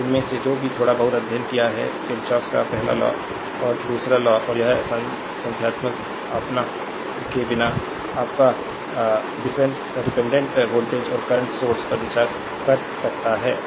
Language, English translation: Hindi, So, with these ah whatever little bit you have studied , Kirchhoff's ah first law and second law, and all this say numericals ah your your we can without considering the your ah dependent voltage and current source